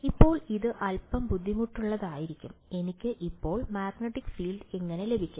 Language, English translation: Malayalam, Now this is going to be a little bit tricky, how do I get the magnetic field now